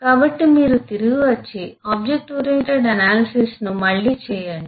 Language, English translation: Telugu, so you come back and eh do the ooa again